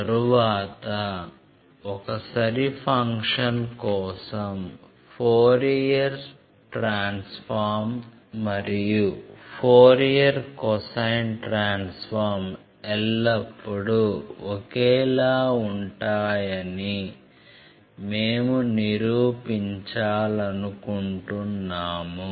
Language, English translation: Telugu, Prove that for an even function, the Fourier transform and the Fourier cosine transform are always same